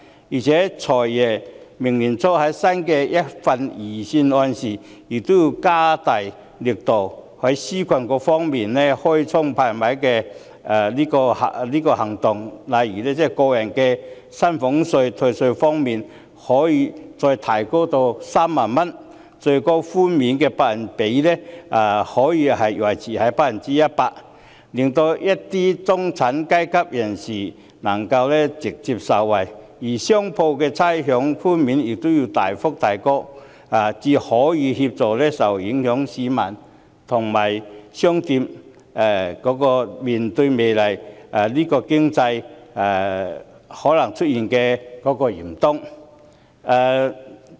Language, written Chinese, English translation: Cantonese, 而且，"財爺"在明年年初的新一份財政預算案中，也要加大力度，在紓困方面推出"開倉派米"行動，例如可以將個人薪俸稅退稅上限提高至3萬元，把最高寬免的百分比維持在 100%， 令一些中產階級能夠直接受惠；而商鋪的差餉寬免也要大幅提高，才能夠協助受影響市民和商鋪面對經濟可能出現的嚴冬。, Moreover in the new Budget early next year the Financial Secretary should also step up relief measures to offer a generous handout of cash and other benefits . For instance the salaries tax rebate ceilings can be raised to 30,000 while the concession rates kept at 100 % in order to benefit the middle class directly . Furthermore a substantial rise in rates concession for shops should be provided so as to help those people and shops affected to brace for the possible economic winter which may come along